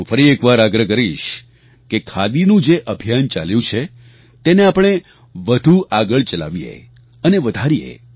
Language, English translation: Gujarati, I once again urge that we should try and take forward the Khadi movement